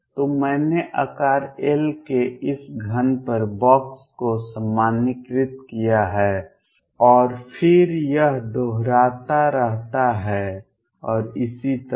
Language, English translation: Hindi, So, I have box normalized over this cube of size L and then it keeps repeating and so on